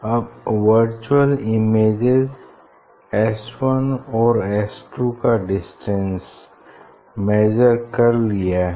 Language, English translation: Hindi, Now, you now, distance of the virtual image s 1 and s 2 is measured